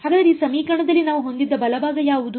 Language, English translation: Kannada, So, what was the right hand side that we had in this equation